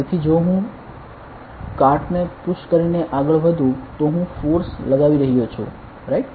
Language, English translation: Gujarati, So, if I am moving a cart by pushing it, I am applying a force right